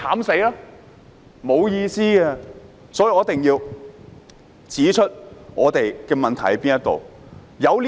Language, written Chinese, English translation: Cantonese, 所以，我一定要指出我們的問題是甚麼。, For this reason we must identify our problems